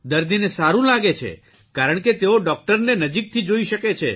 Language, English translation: Gujarati, The patient likes it because he can see the doctor closely